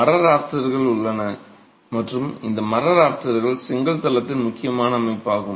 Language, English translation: Tamil, There are timber rafters and these timber rafters are the main supporting system of the brick floor